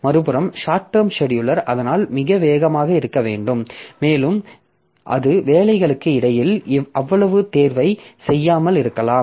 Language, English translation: Tamil, On the other hand, the short term scheduler that we are talking about, so that should be very fast and it may not be doing that much of selection between the jobs